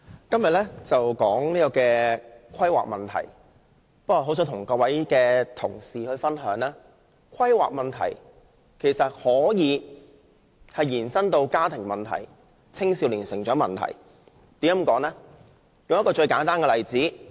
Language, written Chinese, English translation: Cantonese, 今天討論的是規劃問題，我很想與同事分享，其實規劃問題可以延伸至家庭問題及青少年成長問題，為何我會這樣說呢？, The subject of our discussion today is planning problems . Members my view is that planning problems can actually become family problems and problems of youth development . Why do I say so?